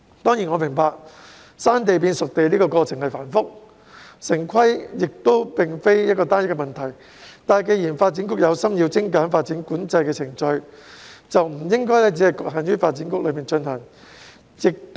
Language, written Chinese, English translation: Cantonese, 當然，我明白"生地"變"熟地"的過程繁複，城市規劃亦非單一的問題，但既然發展局有心精簡發展管制程序，便不應只局限在發展局內進行。, I surely understand that turning primitive land into spade - ready sites is a complicated process and town planning is not the only issue but since DEVB is determined to streamline the development control procedures it should not confine the work to itself